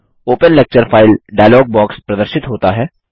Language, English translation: Hindi, The Open Lecture File dialogue box appears